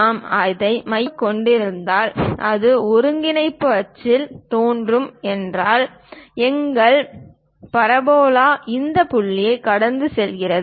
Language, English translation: Tamil, If we are focusing centred around that, if this is the origin of the coordinate axis; then our parabola pass through this point